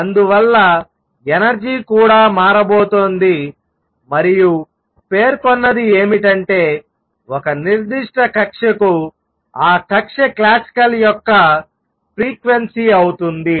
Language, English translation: Telugu, And therefore, the energy is also going to change and what is claimed is that for a particular orbit is going to be the frequency of that orbit classical